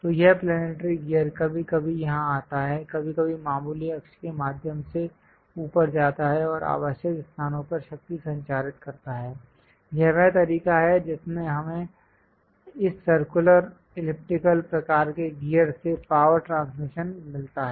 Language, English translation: Hindi, So, this planetary gear sometimes comes here, sometimes goes up through major, minor axis and transmit the power to the required locations; this is the way we get a power transmission from this circular, elliptical kind of gears